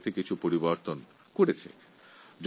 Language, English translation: Bengali, The Government has made some changes in the scheme